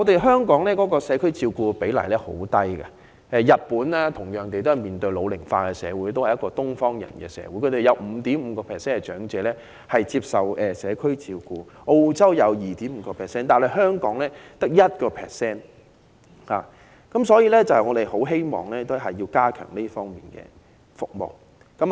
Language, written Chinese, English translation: Cantonese, 香港的社區照顧比例極低，相比同樣面對社會老齡化的日本，該國也是東方人社會，但他們有 5.5% 長者接受社區照顧，澳洲亦有 2.5%， 但香港只有 1%， 所以我們很希望當局加強社區照顧服務。, In Hong Kong the percentage of elderly people receiving community care in extremely low . This percentage stands at 5.5 % in Japan another oriental society facing population ageing and 2.5 % in Australia compared with 1 % in Hong Kong . We therefore earnestly hope that the authorities will strengthen our community care services